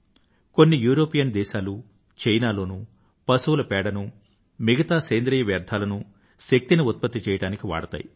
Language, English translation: Telugu, Some European countries and China use animal dung and other Biowaste to produce energy